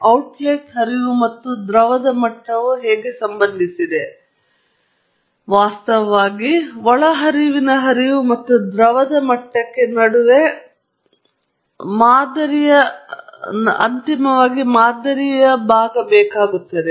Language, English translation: Kannada, How the outlet flow and liquid level are related, because that actually becomes a part of the model eventually between the inlet flow and a liquid level